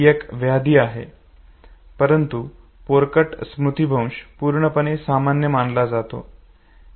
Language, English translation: Marathi, It is a disorder, but infantile amnesia is considered to be perfectly normal